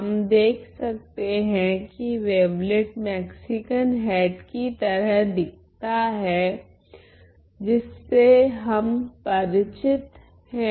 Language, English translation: Hindi, We see that the wavelet looks like the Mexican hat that we are familiar with right